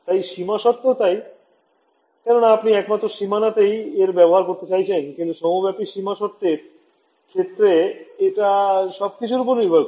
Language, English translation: Bengali, So, that is also boundary condition because you are imposing it only on the boundary, but that is the global boundary conditions it depends on all of these right